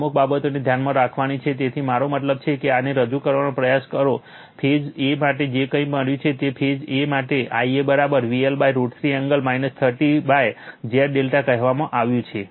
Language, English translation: Gujarati, This certain things you have to keep it in mind right So, I mean if you try to represent this by your what you call whatever you have got say for phase a for phase a right if you see that I a is equal to V L upon root 3 angle minus 30 upon Z y